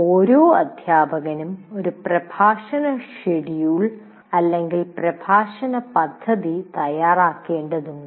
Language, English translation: Malayalam, That is every teacher will have to prepare a lecture schedule or a lecture plan